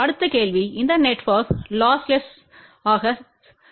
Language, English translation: Tamil, Next question is this network lossless